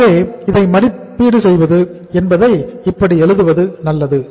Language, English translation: Tamil, So estimation of it is better to write like this